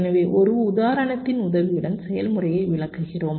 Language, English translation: Tamil, so we are explaining this with the help of an example